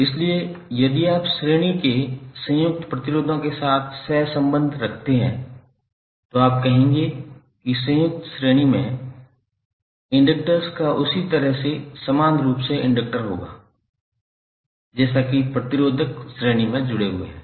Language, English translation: Hindi, So, if you correlate with the series combined resistors you will say that the inductors in the series combined will have equivalent inductance in the same manner as the resistors which are connected in series